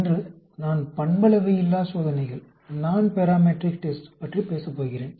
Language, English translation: Tamil, Today, I am going to talk about Nonparametric tests